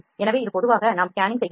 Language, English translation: Tamil, So, this is generally what we do general scanning